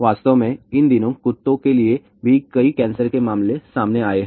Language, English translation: Hindi, In fact, these days many cancer cases have been reported for dogs also